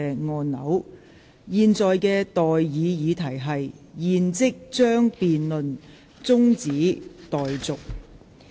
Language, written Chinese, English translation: Cantonese, 我現在向各位提出的待議議題是：現即將辯論中止待續。, I now propose the question to you and that is That the debate be now adjourned